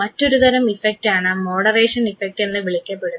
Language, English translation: Malayalam, One form of relationship is what is called as mediation effect